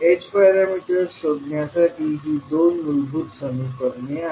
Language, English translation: Marathi, So these are the two basic equations to find out the h parameters